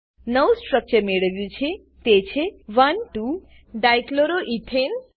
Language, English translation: Gujarati, The new structure obtained is 1,2 Dichloroethane